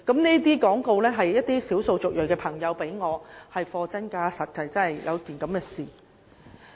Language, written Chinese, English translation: Cantonese, 這些廣告單張是一些少數族裔的朋友給我的，確有其事。, These advertising leaflets are given to me by my friends from ethnic minority groups and they are genuine